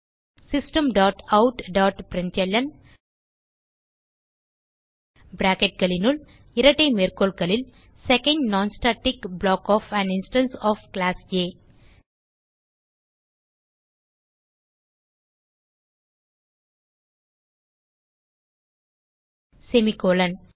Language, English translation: Tamil, System dot out dot println within brackets and double quotes Second Non static block of an instance of Class A semicolon